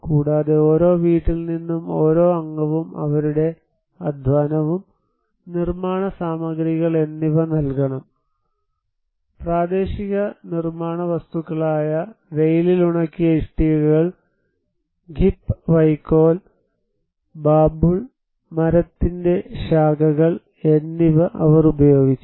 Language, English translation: Malayalam, Also, each one member from each house they should provide labour, building materials; they used the local building materials like sun dried bricks, Khip straw, branches of the babool tree were used